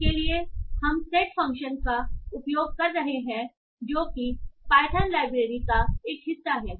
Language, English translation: Hindi, So for this we are using the set function that is a part of Python library